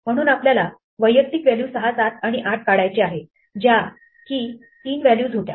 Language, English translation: Marathi, So, we want to extract the individual 6, 7 and 8 that we had as three values